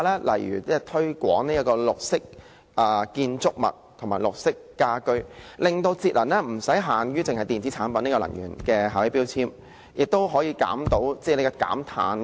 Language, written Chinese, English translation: Cantonese, 例如推廣綠色建築物及綠色家居，令節能不只限於電器產品的能源標籤，還包括可以達到減碳的效用。, For example Hong Kong can promote green buildings and green homes so that efforts in saving energy are not restricted to introducing energy labels in electrical appliances but also include achieving effectiveness in carbon reduction